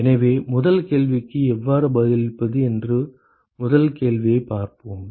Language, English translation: Tamil, So, let us look at the first question how to answer the first question